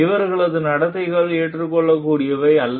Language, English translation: Tamil, And these are the behaviors, which are not acceptable